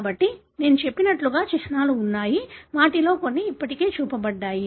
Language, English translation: Telugu, So, there are symbols as I said; some of them are already shown